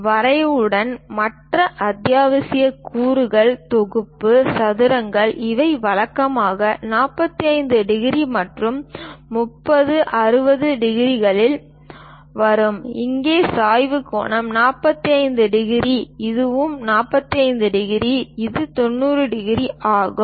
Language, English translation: Tamil, Along with drafter, the other essential components are set squares ; these usually come in 45 degrees and 30, 60 degrees, here the inclination angle is 45 degrees, and this one is also 45 degrees, and this one is 90 degrees